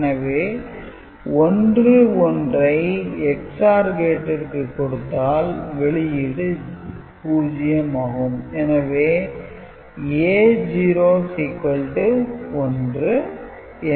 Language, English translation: Tamil, So, 1 1 for an XOR gate you know, the output is 0 this is clear